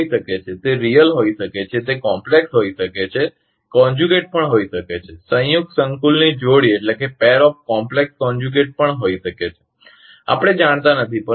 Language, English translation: Gujarati, It may be it may be real, it may be complex, conjugate, also pair of complex conjugate also; we do not know